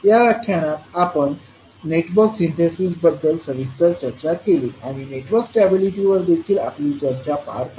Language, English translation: Marathi, So in this session, we discussed about the Network Synthesis in detail and also carried out our discussion on Network Stability